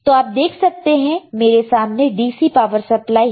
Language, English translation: Hindi, And here also is a DC power supply